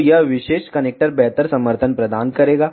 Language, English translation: Hindi, So, this particular connector will provide better support